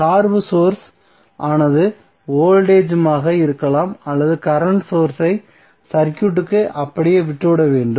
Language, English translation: Tamil, So dependent source may be voltage or current source should be left intact in the circuit